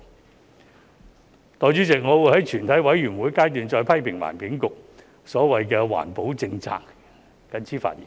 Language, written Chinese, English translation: Cantonese, 代理主席，我會於全體委員會審議階段再批評環境局的所謂環保政策，我謹此發言。, Deputy President I am going to criticize again the so - called environmental protection policies of the Environment Bureau during the Committee Stage . I so submit